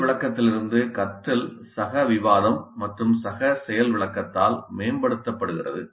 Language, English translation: Tamil, And learning from demonstration is enhanced by peer discussion and peer demonstration